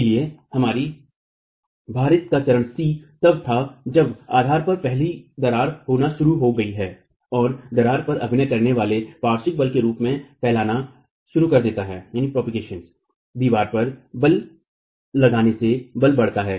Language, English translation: Hindi, So, stage C of our loading was when the first crack at the base is initiated and starts propagating as the lateral force acting on the wall, applied force acting on the wall increases